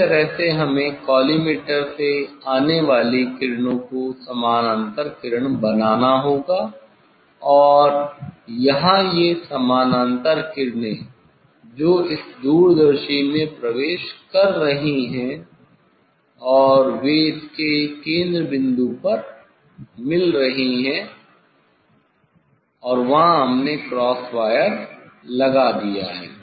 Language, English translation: Hindi, this way we this way we have to make the parallel rays coming from the collimator and here this parallel rays, entering into this telescope lens and they are meeting at the focal point of this one and there we have put the cross wire